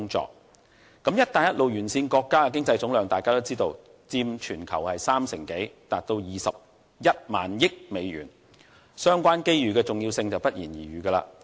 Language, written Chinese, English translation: Cantonese, 眾所周知，"一帶一路"沿線國家的經濟總量佔全球三成多，達21萬億美元，相關機遇的重要性不言而喻。, It is widely known that the economic aggregate of Belt and Road countries accounts for more than 30 % of the global aggregate totalling US21 trillion . The importance of this first opportunity is therefore evident